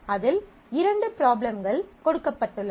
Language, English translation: Tamil, There are couple of problems given on that